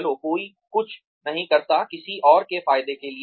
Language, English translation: Hindi, Come on, nobody does anything, for anyone else's benefit